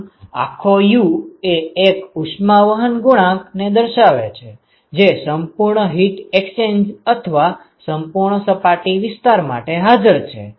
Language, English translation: Gujarati, So, the overall U is a representative heat transport coefficient, for your full heat exchanger, or full surface area which is present